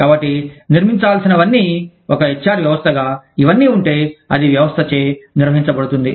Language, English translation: Telugu, So, all that has to be built, into an HR system, if it all, it is being governed by the system